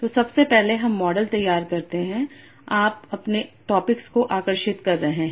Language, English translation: Hindi, So first of all in the generative model you are drawing drawing your topics